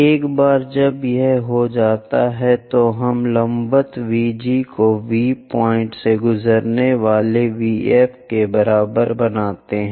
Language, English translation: Hindi, Once that is done, we draw a perpendicular VG is equal to VF passing through V point